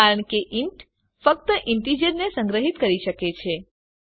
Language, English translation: Gujarati, That is because int can only store integers